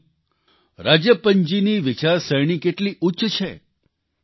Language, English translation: Gujarati, Think, how great Rajappan ji's thought is